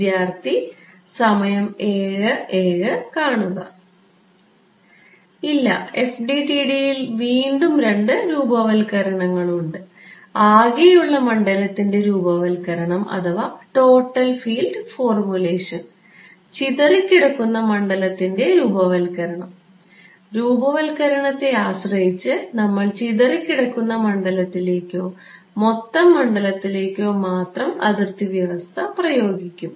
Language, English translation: Malayalam, No in FDTD again there are two formulations, total field formulation and scattered field formulation and depending on the formulation, we will apply the boundary condition to only the scattered field or the total field